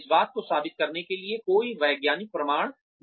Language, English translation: Hindi, There is no scientific evidence to prove any of this